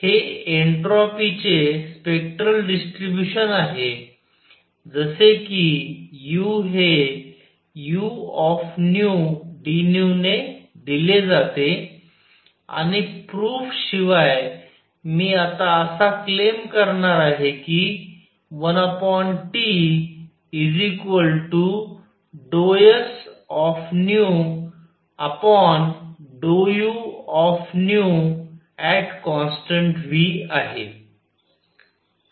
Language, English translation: Marathi, This is spectral distribution of the entropy just like U is given by U nu d nu and without proof, I am now going to claim that 1 over T is also equal to d s nu over d U nu at constant volume